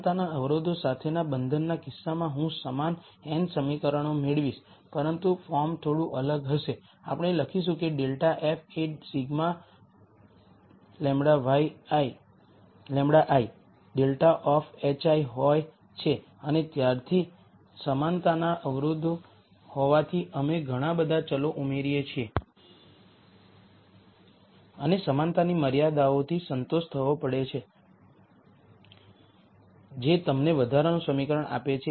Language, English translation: Gujarati, In the constraint case with equality constraints I will get the same n equations, but the form will be slightly different we write that as minus grad f is sigma lambda i grad of h i and since we add as many variables as there are equality constraints and since the equality constraints have to be satisfied those give you the extra equation